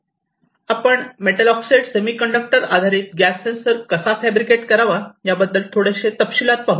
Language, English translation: Marathi, And I can brief you little bit about this particular method of metal oxide semiconductor based gas sensing